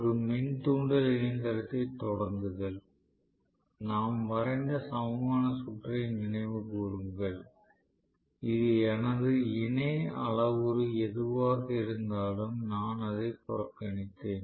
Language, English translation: Tamil, Starting of an induction machine, please recall the equivalent circuit we drew, we said if I neglect whatever is my parallel parameter